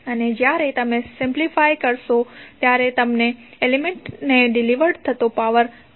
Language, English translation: Gujarati, And when you simplify you will get simply the power delivered to an element that is 53